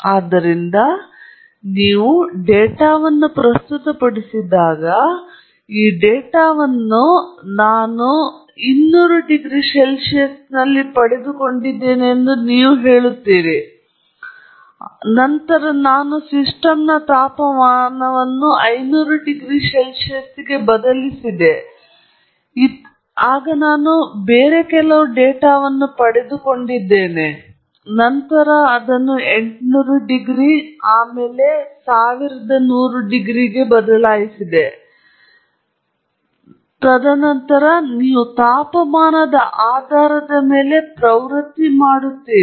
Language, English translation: Kannada, So, it is important that…so, when you present the data, you are going to say that, this data I have obtained at 200 degrees C; then I changed the temperature of the system to 500 degrees C and I obtained some other data; then I changed it to 800 degrees C, 1100 degrees C; and then you do a trend based on temperature